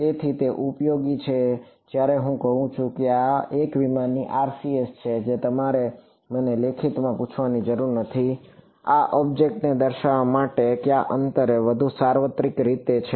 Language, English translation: Gujarati, So, it is useful when I say this is the RCS of an aircraft you do not have to ask me in written, at what distance right it is more like a universal way to characterize this object